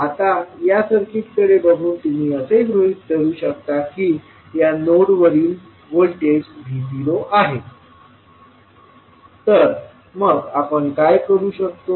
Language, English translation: Marathi, Now, if you see this particular circuit, let us assume that the voltage at this particular node is V naught, so what we will do